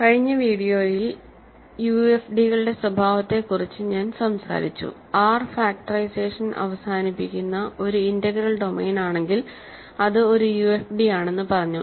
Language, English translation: Malayalam, In the last video, I talked about a characterization of UFDs which said that if R is an integral domain in which factorization terminates then it is a UFD if and only if every reducible element is prime